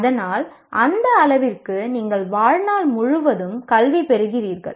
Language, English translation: Tamil, And so to that extent you are getting educated all the time throughout our lives